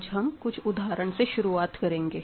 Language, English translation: Hindi, So, let us start with some problems today